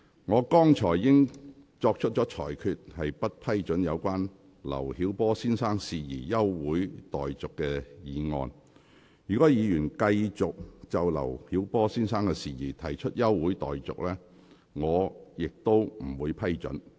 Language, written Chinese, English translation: Cantonese, 我剛才已經作出裁決，不批准議員就劉曉波先生的事宜動議休會待續議案。如果議員繼續就劉曉波先生的事宜提出休會待續議案，我亦不會批准。, I have already ruled just now that permission will not be given even if Members keep on moving motions for adjournment in respect of matters relating to Mr LIU Xiaobo